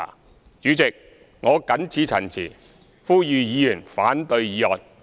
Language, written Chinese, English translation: Cantonese, 代理主席，我謹此陳辭，呼籲議員反對議案。, Deputy President with these remarks I urge Members to oppose the motions